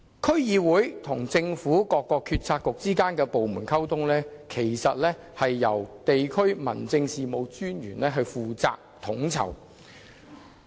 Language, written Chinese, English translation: Cantonese, 區議會與政府各政策局及部門之間的溝通，其實由地區民政事務專員負責統籌。, As a matter of fact the communication between DCs and various Policy Bureaux and departments of the Governmernt are coordinated by the District Officers of respective DCs